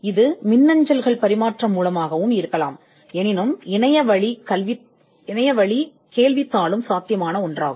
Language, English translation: Tamil, This could also be through exchange of emails, but our online questionnaire is also possible